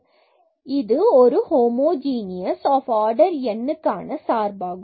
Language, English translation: Tamil, Therefore, this is a function of homogeneous function of order n